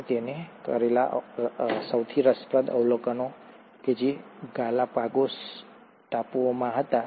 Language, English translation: Gujarati, And, the most interesting observations that he made were in the Galapagos Islands